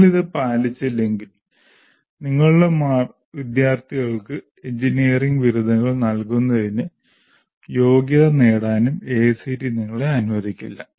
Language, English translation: Malayalam, Unless you follow that, AACTE will not permit you to, permit you to conduct and award or qualify your students for the award of engineering degrees